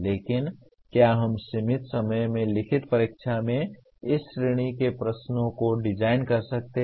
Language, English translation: Hindi, But can we design questions of this category in limited time written examination